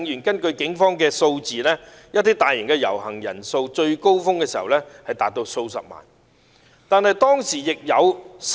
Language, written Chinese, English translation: Cantonese, 根據警方數字統計，數次大型遊行的人數最高峰時多達數十萬人。, According to the statistics of the Police the peak - period participation estimates for several large - scale possessions were as many as hundreds of thousands